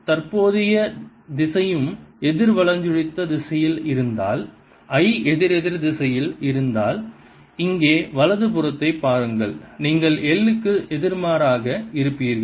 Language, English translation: Tamil, if the current direction was also counter clockwise just look at the right hand side here if i was counterclockwise then u would be pointing opposite to l